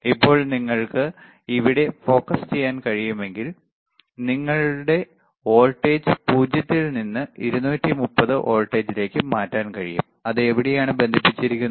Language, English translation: Malayalam, So now, if you can focus here, you see, you can change the voltage from 0 from 0 to 230 volts, it is connected to where